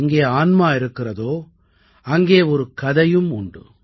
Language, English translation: Tamil, 'Where there is a soul, there is a story'